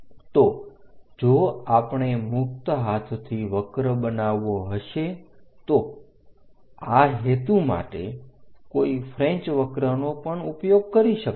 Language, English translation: Gujarati, So, if we are going to have a free hand curve for this purpose, one can use French curves also